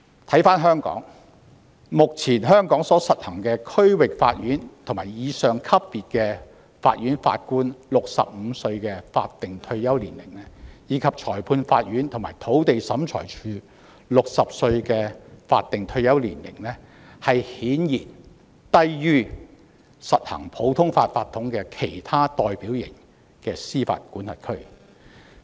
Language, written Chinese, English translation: Cantonese, 反觀香港，目前香港就區域法院及以上級別法院法官所訂的65歲法定退休年齡，以及就裁判官和土地審裁處人員所訂的60歲法定退休年齡，顯然低於實行普通法法統的其他代表型司法管轄區。, In contrast the statutory retirement age of 65 for Judges at the District Court level and above and 60 for Magistrates and Members of the Lands Tribunal currently in place in Hong Kong are apparently lower than that in other typical jurisdictions that practise the common law system